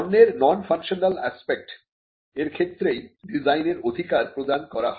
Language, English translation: Bengali, A design right is granted to a non functional aspect of the product